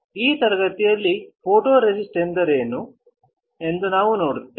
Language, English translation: Kannada, In this class, we will see what a photoresist is